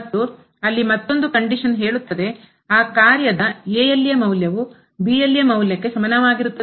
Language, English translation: Kannada, And, there is a one more condition which says that the function value at is equal to the function value at the point